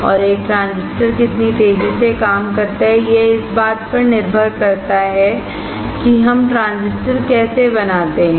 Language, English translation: Hindi, And how fast a transistor works depends on how we fabricate the transistor